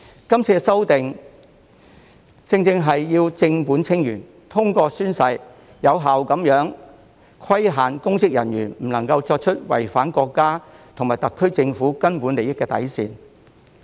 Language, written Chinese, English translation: Cantonese, 今次修例正是要正本清源，通過宣誓，有效地規限公職人員不能作出違反國家和特區政府根本利益底線的行為。, This legislative amendment exercise seeks precisely to deal with the problem at root by effectively restricting public officers through taking an oath from doing acts which infringe upon the bottom line of the fundamental interests of the country and the SAR Government